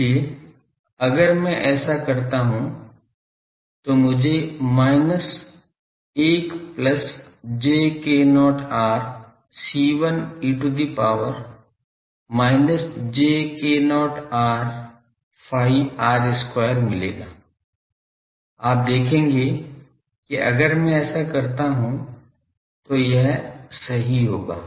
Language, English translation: Hindi, So, if I do this I will get minus 1 plus j k not r C1 e to the power minus j k not r phi r square you will see this that if I do this it will be this